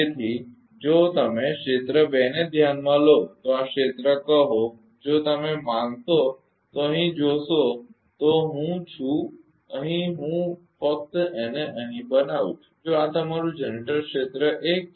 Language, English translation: Gujarati, So, if you consider area 2 say this area if you consider here see here I am I am simply making it here only if if this is your generator area 1